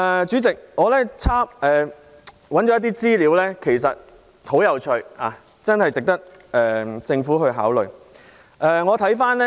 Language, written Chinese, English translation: Cantonese, 主席，我曾翻查資料，發現有些資料很有趣，值得政府考慮。, Chairman I have looked up some information and have found some very interesting information worthy of consideration by the Government